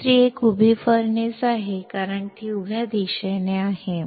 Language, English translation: Marathi, Another one is a vertical furnace, since it is in vertical direction